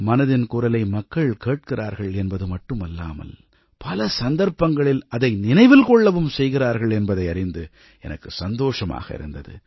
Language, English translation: Tamil, I was very happy to hear that people not only listen to 'Mann KI Baat' but also remember it on many occasions